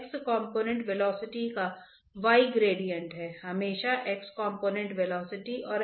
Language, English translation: Hindi, What about y component velocity y component velocity